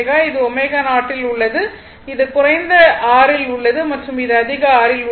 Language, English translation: Tamil, So, this is at omega 0 so, this is at low R and this is at higher R